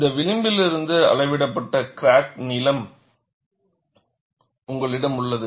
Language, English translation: Tamil, And you have the crack length measured from this edge that is what is given as crack length